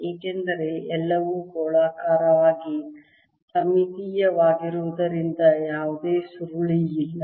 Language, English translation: Kannada, since everything is going to be spherically symmetric, there is no curl